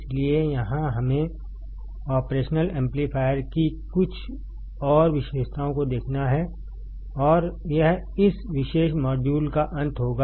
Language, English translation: Hindi, So, here let us see few more characteristics of operational amplifier and that will be the end of this particular module